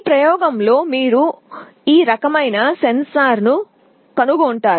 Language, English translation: Telugu, In the experiment we will be showing you this kind of a sensor